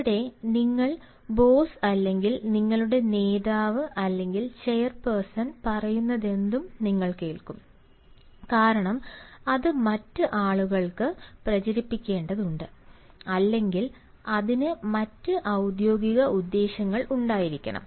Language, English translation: Malayalam, whatever your boss or whatever your leader or whatever the chair person says, you will listen it, because it has either to be disseminated to the other people or it has to have some other official purpose